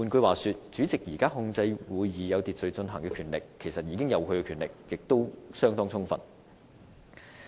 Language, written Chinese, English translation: Cantonese, 換言之，主席現時控制會議有秩序進行的權力已經相當充分。, In other words the President already has sufficient power to ensure the orderly conduct of Council meetings